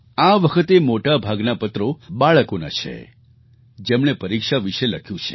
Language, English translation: Gujarati, This time, maximum number of letters are from children who have written about exams